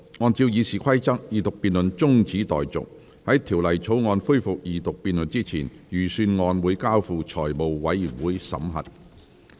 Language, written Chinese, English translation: Cantonese, 按照《議事規則》，二讀辯論中止待續；在《條例草案》恢復二讀辯論之前，預算案交付財務委員會審核。, In accordance with the Rules of Procedure the Second Reading debate is adjourned and the Estimates are referred to the Finance Committee for examination before the debate on the Bill resumes